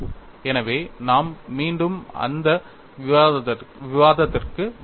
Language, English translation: Tamil, So, we will have to come back to that discussion again